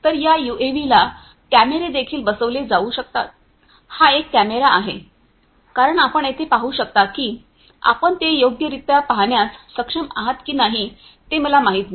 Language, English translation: Marathi, So, these this UAV could also be fitted with cameras, this is one camera as you can see over here I do not know whether you are able to see it properly